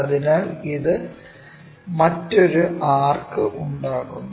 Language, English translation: Malayalam, So, it makes another arc